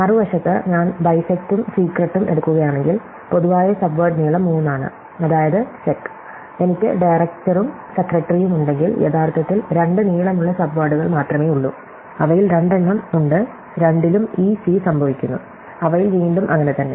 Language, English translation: Malayalam, If I bisect and secret on the other hand, then the common subword is of length 3, namely sec and if I have director and secretary, then there are actually only two length subwords and there are two of them, so ec occurs in both of them and so does re